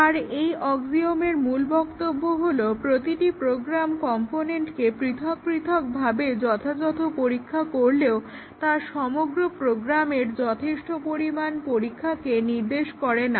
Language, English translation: Bengali, The statement of his axiom is that adequate testing of each individual program components does not necessarily suffice adequate test of entire program